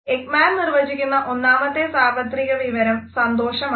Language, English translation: Malayalam, The first universal emotion which has been mentioned by Ekman is happiness